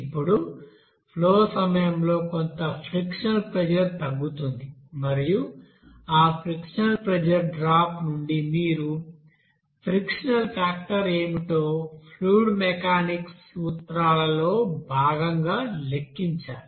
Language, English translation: Telugu, Now during the flow there will be some frictional pressure drop and from that frictional pressure drop you have to calculate what will be the friction factor there, friction factor as part principles of fluid mechanics there